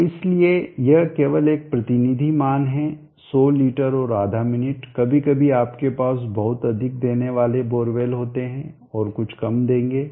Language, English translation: Hindi, So therefore this is only a representative value 100liters and a half of minute, sometimes you have bore wells giving much more, and some will give less